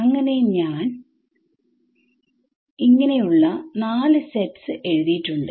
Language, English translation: Malayalam, So, I have written 4 sets of U’s ok